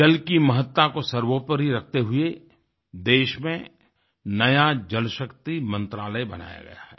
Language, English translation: Hindi, Therefore keeping the importance of water in mind, a new Jalashakti ministry has been created in the country